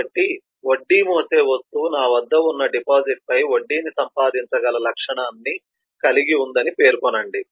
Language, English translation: Telugu, so it says that the interest bearing item has the property that i can earn interest on the deposit that i have